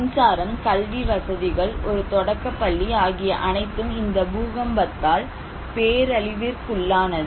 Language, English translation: Tamil, So, electricity supply, educational facilities, one primary school they all were devastated by this earthquake